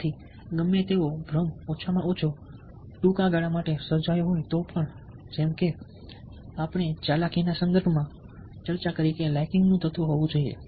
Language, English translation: Gujarati, so even if an illusion of liking is created, at least for a short period of time, as we discussed in a context of manipulation, that liking, element of liking has to be there